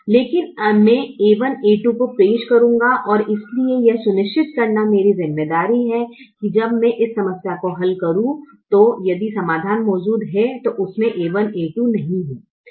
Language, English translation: Hindi, but i'll introduced a one a two and therefore it is my responsibility to make sure that when i solve this problem the solution, if it exists, does not have a one a two